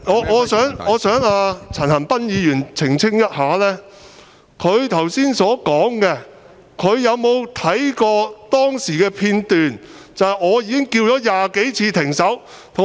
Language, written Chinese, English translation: Cantonese, 我想陳恒鑌議員澄清一下，就他剛才所說的話，他有否看過當時的片段，留意到我已經喊了20多次"停手"？, I wish to seek a clarification from Mr CHAN Han - pan . Regarding what he has just said did he watch the footage of what happened at that time and notice that I had shouted stop some 20 times?